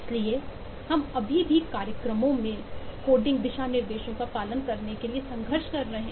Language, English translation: Hindi, software engineers are still not up to it, so we are still struggling even to follow the coding guidelines in programs